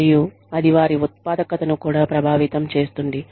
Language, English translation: Telugu, And, that in turn, affects their productivity, as well